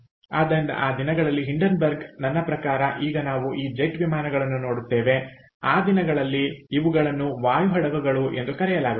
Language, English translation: Kannada, ok, so hindenburg in those days i mean right now we see this jet planes in those days are also these things called air ships